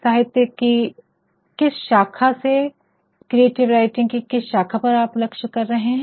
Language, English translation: Hindi, Your own interest as to which branch of literature which branch of creative writing you are aiming at